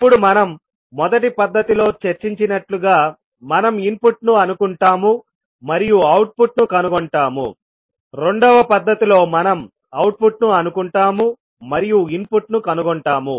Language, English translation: Telugu, Now, in the first method, as we discussed, we assume input and we found the output while in second method, we assume the output and then find the input